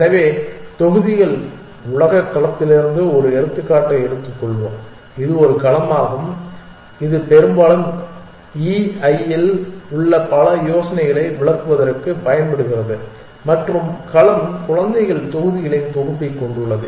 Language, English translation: Tamil, So, let us take an example from the blocks world domain which is a domain which is often used to illustrate many ideas in e i and the domain consist of a set of children blocks